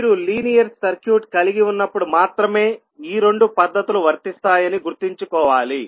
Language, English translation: Telugu, And we have to keep in mind that these two methods will only be applicable when you have the linear circuit